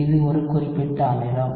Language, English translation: Tamil, That is a specific acid